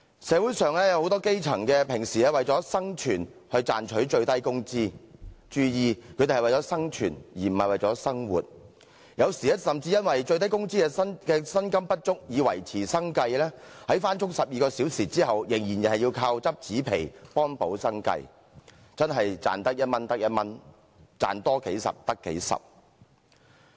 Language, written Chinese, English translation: Cantonese, 社會上有很多基層人士平時為了生存而賺取最低工資，注意他們是為了生存，而不是為了生活，有時甚至由於最低工資的薪金不足以維持生計，在工作12小時後，仍要倚靠執紙皮幫補生計，真的是"賺得一蚊得一蚊，賺多幾十得幾十"。, Many grass - roots people in society regularly earn the minimum wage for survival but please note that they only earn to survive but not to live . In case where the minimal wage is insufficient to make ends meet they have to gather scrap paper to make up for the shortfall even after working for 12 full hours a day . Every bit of earning even as little as one dollar or couple of dozen dollars does matter to them